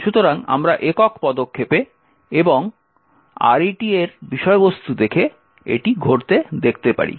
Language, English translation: Bengali, So, we can see this happening by single stepping and looking at the contents of RET